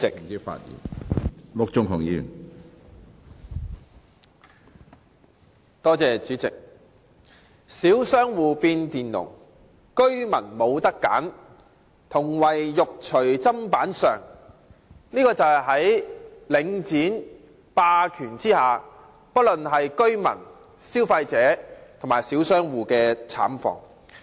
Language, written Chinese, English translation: Cantonese, 這便是在領展房地產投資信託基金的霸權下，不論是居民、消費者或小商戶的慘況。, They are just led by the nose with no say at all . This is the plight suffered by the people under the hegemony of Link Real Estate Investment Trust Link REIT whether they be residents consumers or small shop operators